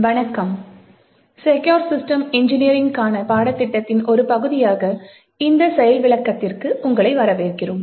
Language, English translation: Tamil, Hello and welcome to this demonstration as part of the course Secure Systems Engineering